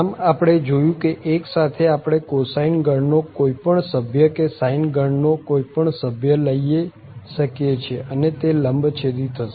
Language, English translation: Gujarati, So, this at least we have seen that with 1 we can take any member of the cosine family or any member of the sine family and these are orthogonal